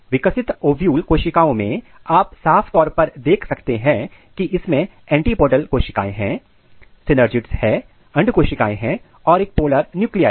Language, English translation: Hindi, So, in ovule cells you can clearly see there are antipodal cells; there are synergids, egg cells and polar nuclei